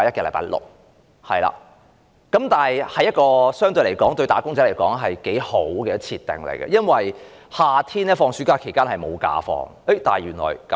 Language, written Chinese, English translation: Cantonese, 相對而言，這是一個對"打工仔"很好的設定，因為夏天學生暑假期間沒有公眾假期。, Having this holiday was indeed very good for wage earners because there were no general holidays in summer when students were enjoying their vacation